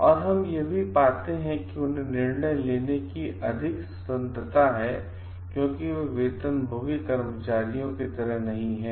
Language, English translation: Hindi, And also we find like they have a greater freedom to make a decisions, because they are not salaried employees